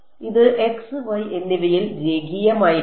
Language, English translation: Malayalam, It should be linear in I mean in x and y